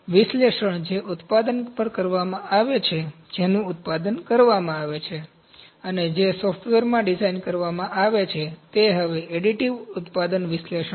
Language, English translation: Gujarati, The analysis those who are being done on the product those are to be produced, and those are to be designed in the softwares are now additive manufacturing analysis